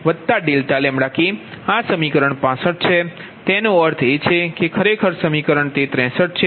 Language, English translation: Gujarati, so that means equation sixty three